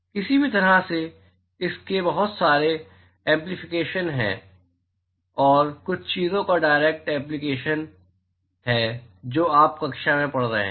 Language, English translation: Hindi, Any way so, it had a lot of implications and it is a direct application of some of the things that your studying in the class